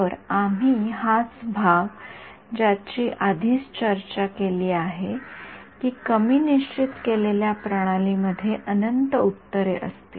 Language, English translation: Marathi, So, we this is the part we have already discussed that the underdetermined system will have infinite solutions